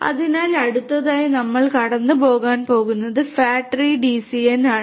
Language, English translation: Malayalam, So, the next one that we are going to go through is the fat tree DCN